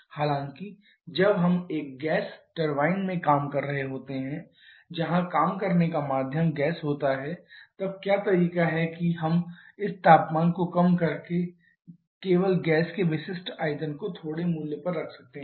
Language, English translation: Hindi, However when we are working in a gas turbine where working medium is gas then what is the way we can keep the specific volume of gas to a smaller value only by reducing this temperature